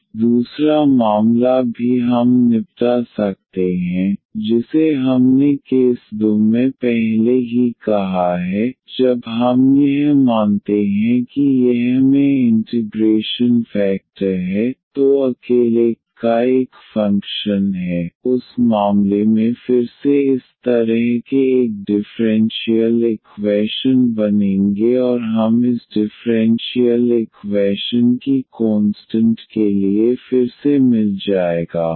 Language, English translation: Hindi, Now, the other case also we can deal which we have just stated before in the case 2, when we assume that this I the integrating factor is a is a function of y alone in that case again such a differential equation will be formed and we will get again for the consistency of this differential equation